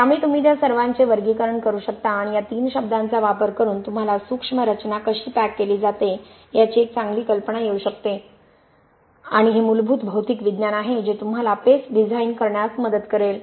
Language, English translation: Marathi, So you can categorize all of that and using these three terms you can come up with a nice idea of how the microstructure is packed and this is fundamental material science which will help you to design the paste